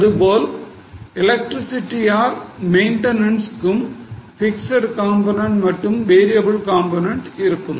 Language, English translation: Tamil, Similarly for electricity or for maintenance also there will be a fixed component and variable component